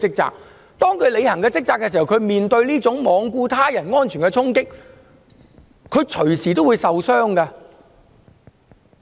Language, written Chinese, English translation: Cantonese, 但是，當他們履行職責時，便要面對這種罔顧他人安全的衝擊，他們隨時也會受傷。, However in doing so they can also be easily injured if people engage in physical scuffles recklessly without any regard to the safety of others